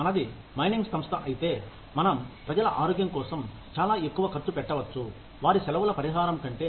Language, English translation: Telugu, If we are a mining organization, we may end up spending, much more on health, than on, say, compensating people, for their vacations